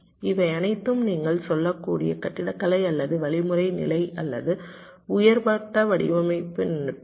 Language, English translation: Tamil, ok, these are all architectural, or algorithmic level, you can say, or higher level design techniques